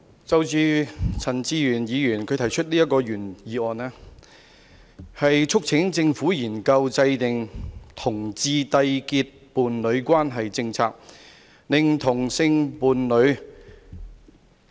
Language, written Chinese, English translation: Cantonese, 我們今天所討論的，是陳志全議員動議的"研究制訂讓同志締結伴侶關係的政策"議案。, What we are debating today is the motion moved by Mr CHAN Chi - chuen entitled Studying the formulation of policies for homosexual couples to enter into a union . It is just a mere study that we are talking about